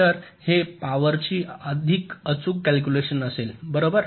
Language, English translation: Marathi, so this will be a more accurate calculation of the power, right